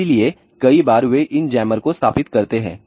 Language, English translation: Hindi, So, many times they install these jammers